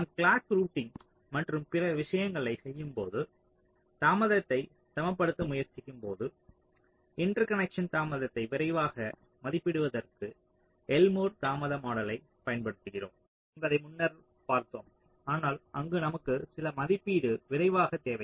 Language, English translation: Tamil, earlier we seen that we often use elmore delay model to estimate quick estimation of the of the interconnection delay when you are doing the clock routing and other things when you are trying to balance the delay